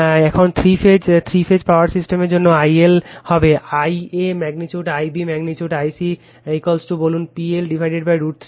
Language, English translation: Bengali, Now, for the three phase three wire system, I L dash will be the magnitude I a magnitude I b magnitude I c is equal to your say P L upon root 3 V L